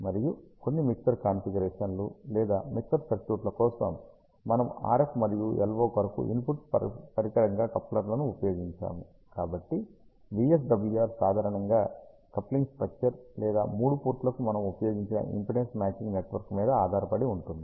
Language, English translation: Telugu, And for some of the mixer configurations or mixer circuits, we have used couplers as the input device for RF and LO So, the VSWR in general depends on either the coupling structure or the impedance matching network that we have used for all the 3 ports